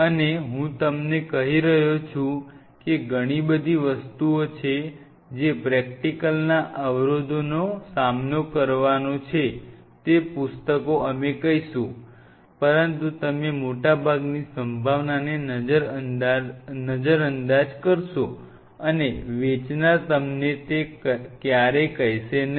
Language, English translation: Gujarati, And much of the things what I am telling you are the practical hurdles you are going to face which the books we will tell, but you will over look most likelihood and the seller will never tell you